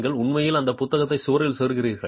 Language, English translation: Tamil, You are actually inserting that book into the wall